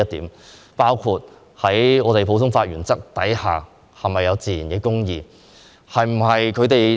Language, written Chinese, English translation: Cantonese, 此外，還有在普通法原則下，是否有自然公義。, Besides under the common law principle is natural justice being upheld?